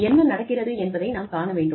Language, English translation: Tamil, We need to see, what is going in